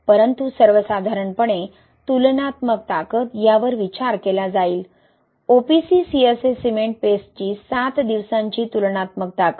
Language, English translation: Marathi, But in general, comparable strength, right, will look into this, seven days comparable strength of OPC CSA cement paste